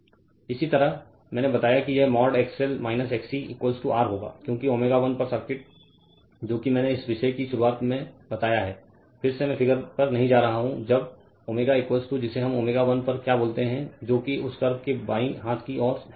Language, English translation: Hindi, Similarly, that I told you it will be mod XL minus XC is equal to r since at omega 1 the circuit is I told you you have to very very beginning of thisof this topic again am not going to the figure when your omega is equal to your what we call at omega 1 which is on the left hand side right of that curve